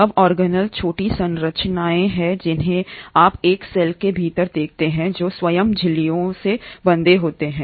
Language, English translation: Hindi, Now, organelles are small structures that you observe within a cell which themselves are bounded by membranes